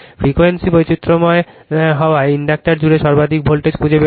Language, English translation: Bengali, Find the maximum voltage across the inductor as the frequency is varied